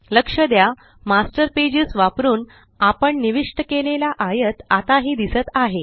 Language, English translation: Marathi, Notice, that the rectangle we inserted using the Master page, is still visible